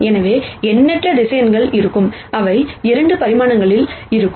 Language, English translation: Tamil, So, there will be infinite number of vectors, which will be in 2 dimensions